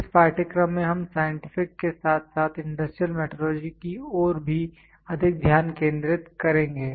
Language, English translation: Hindi, In this course we will be more focus towards scientific as well as industrial metrology only